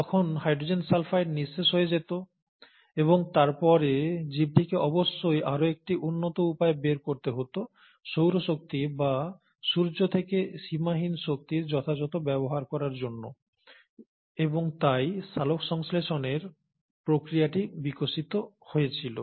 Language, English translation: Bengali, But then even hydrogen sulphide would have got exhausted and then, the organism must have developed a much smarter strategy of actually utilizing the unlimited pool of energy from solar energy or from the sun and hence the process of photosynthesis evolved